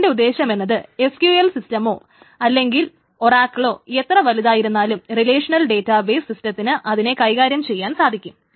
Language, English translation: Malayalam, So distribution essentially means is that no matter how large a MySQL system or Oracle or whatever, the relational database systems can handle